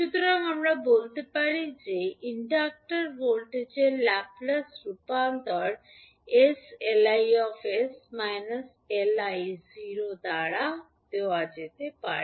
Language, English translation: Bengali, So, we can say that the Laplace transform of inductor voltage can be given by s into lIs minus lI at time t is equal to 0